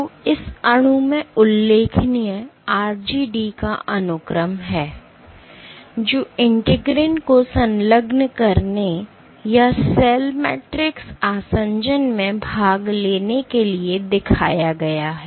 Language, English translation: Hindi, So, notable in this molecule is the sequence of RGD which has been shown to engage integrins or participate in mediating cell matrix adhesion